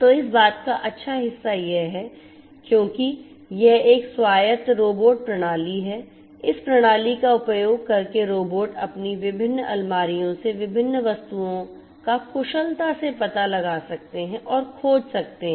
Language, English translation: Hindi, So, the good part of this thing is that because it is an autonomous robotic system you know using this system the robots can efficiently locate and search different items from their different shelves